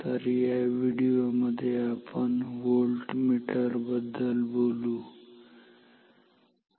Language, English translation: Marathi, So, in this video, we will talk about Voltmeters ok